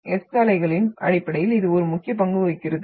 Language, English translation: Tamil, And this plays an important role in terms of the S waves